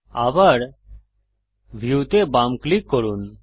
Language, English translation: Bengali, Again, Left click view